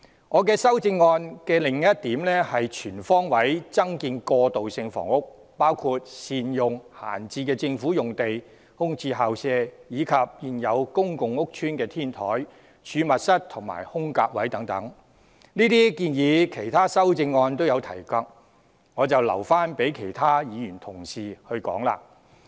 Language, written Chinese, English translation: Cantonese, 我修正案的另一項建議是全方位增建過渡性房屋，包括善用閒置政府用地、空置校舍，以及現有公共屋邨的天台、儲物室和"空格位"等，這些建議在其他修正案也有提及，就留待其他同事說明。, Another proposal in my amendment is to increase transitional housing on all fronts including optimizing the use of among others idle government sites vacant school premises and the rooftops storerooms and empty bays in existing public housing estates . Since similar suggestions have also been made in other amendments I shall leave the explanation to other colleagues